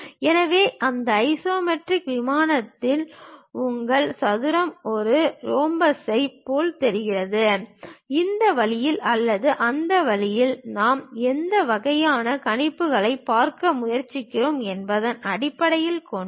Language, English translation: Tamil, So, your square on that isometric plane looks like a rhombus, either this way or that way based on which kind of projections we are trying to look at